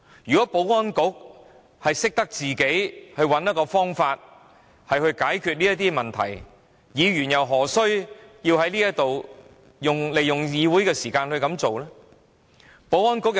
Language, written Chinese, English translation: Cantonese, 如果保安局能夠設法解決這些問題，議員怎會利用議會時間提出這個要求？, If the Security Bureau has tried to solve these problems will Members use this Councils time to make such a request?